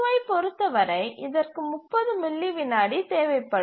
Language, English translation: Tamil, And each time T3 occurs, it will execute for 30 milliseconds